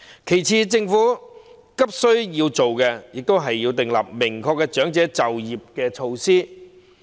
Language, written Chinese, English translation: Cantonese, 其次，政府必須盡快訂立明確的長者再就業措施。, Furthermore the Government must expeditiously formulate clear and definite elderly re - employment measures